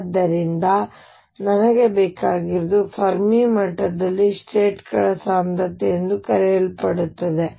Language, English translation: Kannada, So, what I need is something called the density of states at the Fermi level